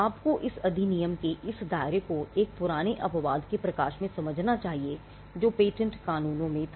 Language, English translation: Hindi, You should understand this scope of this act in the light of an age old exception that was there in patent laws